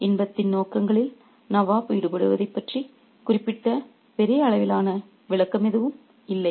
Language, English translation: Tamil, There is no specific large scale description of the nab indulging in the pursuits of pleasure